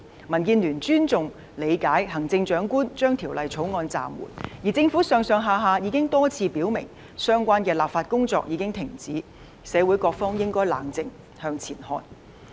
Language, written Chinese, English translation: Cantonese, 民建聯尊重及理解行政長官將《條例草案》的工作暫緩，而政府上下已經多次表明，相關立法工作已經停止，社會各方應該冷靜，向前看。, DAB respects and understands that the Chief Executive has suspended the work on the Bill . And the Government as a whole has repeatedly made it clear that the relevant legislative work has stopped and various parties in society should calm down and move on